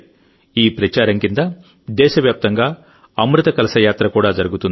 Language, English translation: Telugu, Under this campaign, 'Amrit Kalash Yatra' will also be organised across the country